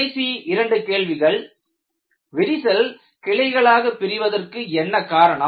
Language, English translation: Tamil, The last two questions were: what causes the crack to branch